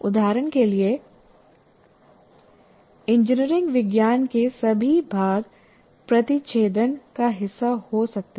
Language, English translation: Hindi, For example, all of engineering science part can be brought here